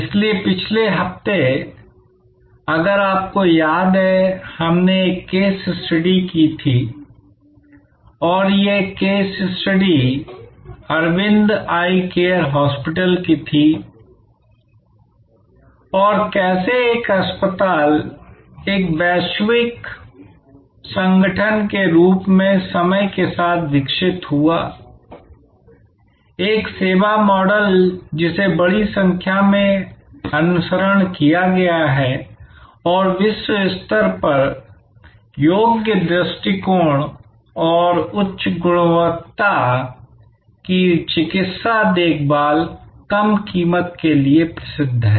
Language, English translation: Hindi, So, last week if you remember we took up a major case study and this case study was of the Aravind Eye Care Hospital and how that one single hospital grew overtime into a global organization, a service model that has been emulated in a large number of countries and is globally famous for it is provable approach and high quality medical care at low cost